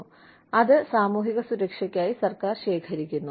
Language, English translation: Malayalam, And, that is collected by the government, towards social security